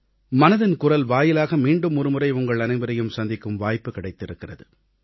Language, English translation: Tamil, Through 'Mann Ki Baat', I once again have been blessed with the opportunity to be facetoface with you